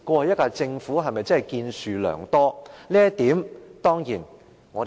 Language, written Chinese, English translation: Cantonese, 這一屆政府是否真的建樹良多？, Has the incumbent Government truly made great contributions?